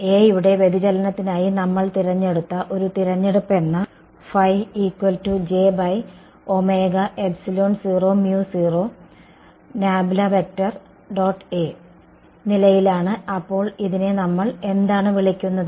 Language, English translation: Malayalam, This was a choice which we had made for the divergence of A and what it we call this